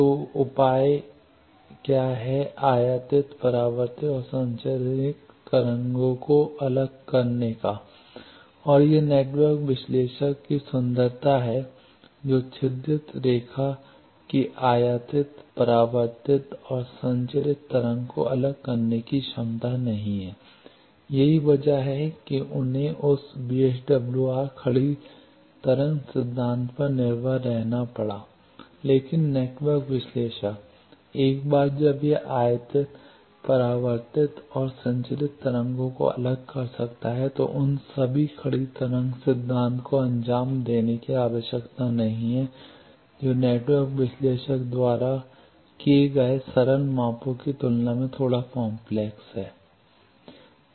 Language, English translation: Hindi, So, the measures is incident reflected and transmission wave separately and that is the beauty of network analyzer slotted line did not have capability to separate the incident reflected transmitted waves that is why they had to rely on the standing wave phenomena from that VSWR, etcetera concept came, but network analyzer, once it can separate incident reflected and transmitted waves it does not need to carry out all those standing wave phenomena which are a bit complicated compare to the simple measurements done by network analyzer